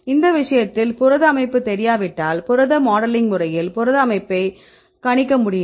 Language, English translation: Tamil, In this case if you unknown the protein structure can we predict the protein structure